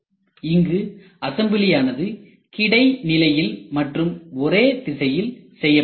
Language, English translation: Tamil, So, assembly is done in the horizontal way and in single direction